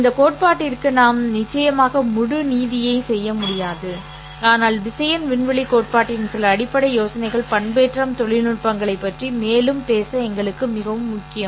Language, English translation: Tamil, We will of course not be able to do full justice to this theory but some basic ideas of vector space theory is very important for us to further talk about the modulation technologies